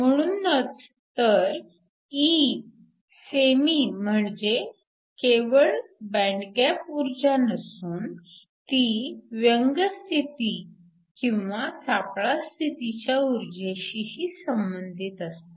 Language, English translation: Marathi, That is why E semi cannot only refer to the band gap of the material, but could also refer to the energy for a defect state and a band gap